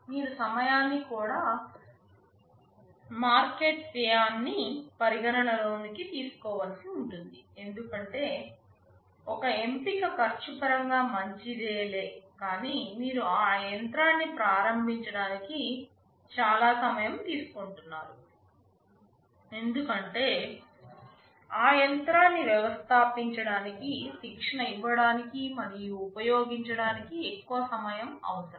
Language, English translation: Telugu, Not only that you will also have to consider the time to market cost, because may be means one choice is good in terms of cost, but you are taking a long time to start that machine, because installing, training and just using that machine is requiring much more time that also you also have to need to consider